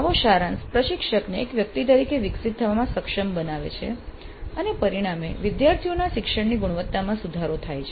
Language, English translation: Gujarati, Such summarization enables the instructor to grow as a person and consequently leads to improvement in the quality of student learning